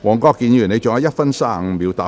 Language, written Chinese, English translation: Cantonese, 黃國健議員，你還有1分35秒答辯。, Mr WONG Kwok - kin you still have 1 minute 35 seconds to reply